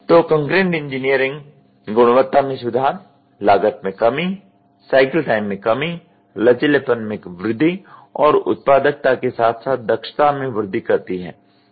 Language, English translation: Hindi, So, concurrent engineering improves quality reduces cost compresses cycle time increases flexibility and raises productivity as well as efficiency